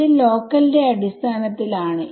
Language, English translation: Malayalam, So, this is in terms of local